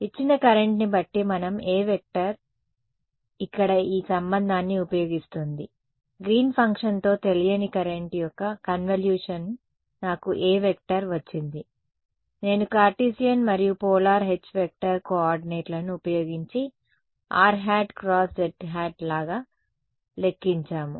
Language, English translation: Telugu, Given the given the current we could calculate the A vector using this relation over here, convolution of unknown current with Green’s function I got A from A I got H and H I calculated little bit cleverly making use of both Cartesian and polar coordinates right you are something like r cross z